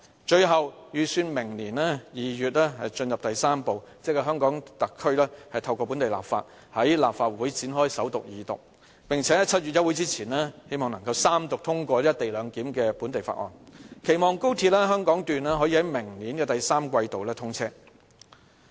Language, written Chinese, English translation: Cantonese, 最後，預算明年2月進入第三步，即香港特區透過本地立法，在立法會展開首讀、二讀，並且在7月休會之前希望能夠三讀通過"一地兩檢"的本地法案，期望高鐵香港段可以在明年第三季度通車。, Step Three the last step is for HKSAR to carry out the local legislation in next February . This involves the Governments submission of the co - location bill to the Legislative Council for First and Second Readings in the hope that the bill would be third read in July before the legislatures summer recess with a view to enabling the commissioning of the XRL Hong Kong Section in the third quarter next year